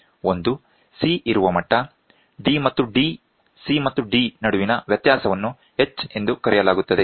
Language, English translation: Kannada, One is the level where C is there, the difference between C minus D is called H